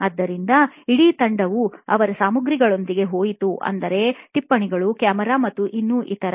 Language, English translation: Kannada, So, the entire team went with their paraphernalia, you know notes, camera and all that